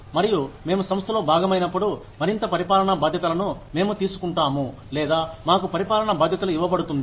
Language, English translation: Telugu, And, slowly, as we become part of the organization, we either take on more administrative responsibilities, or, we are given administrative responsibilities